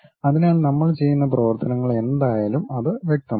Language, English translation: Malayalam, So, whatever the operations we are doing it will be pretty clear